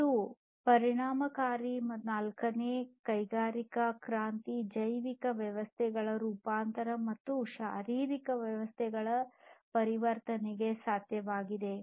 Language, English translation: Kannada, And consequently transformation has been possible in this fourth industrial revolution age transformation of the biological systems, physiological systems and so on